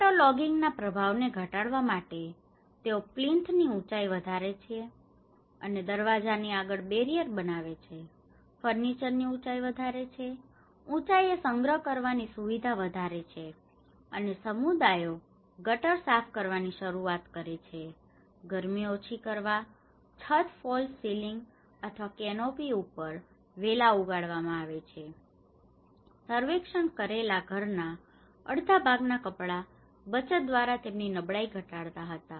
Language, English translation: Gujarati, To reduce the impacts of waterlogging, they increased plinth height made barriers at door front, increased furniture height, arranged higher storage facilities and took community initiatives to clean drainage, to reduce heat, creepers were grown covering the roof, false ceiling or canopy made out of clothes were made almost half of the household surveyed reduced their vulnerability through savings